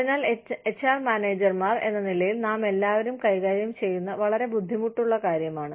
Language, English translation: Malayalam, So, that is a very difficult thing, that we all deal with, as HR managers